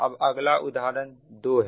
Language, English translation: Hindi, now another one is